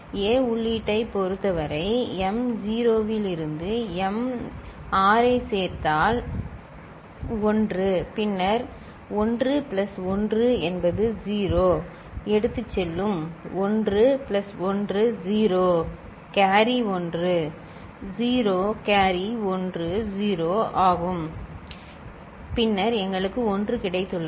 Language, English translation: Tamil, And for the A input, this m naught to m6 is coming here m naught to m6, then if you add this is 1; then 1 plus 1 is 0; 1 plus that carry is 1; 0 carry is 1; 0 carry is 1 0 and then we have got a 1